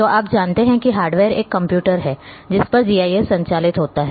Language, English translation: Hindi, So, you know that a hardware is a computer on which GIS operates